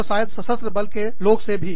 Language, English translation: Hindi, And, to maybe, even people in the armed forces